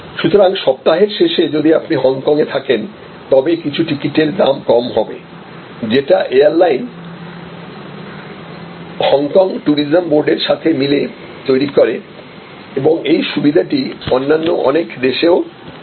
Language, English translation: Bengali, So, the weekend if you stay in Hong Kong then some of the ticket will be at a price which is lower, because the airline works in conjunction with Hong Kong tourism board and so on and this is applicable to many other countries